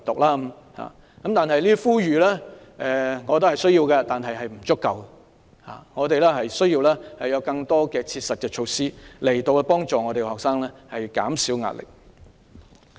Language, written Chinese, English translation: Cantonese, 我覺得這些呼籲是需要的，但並不足夠，我們需要有更多實質措施幫助學生減少壓力。, I think these appeals are necessary but not enough . We need more specific measures to help alleviate the stress on students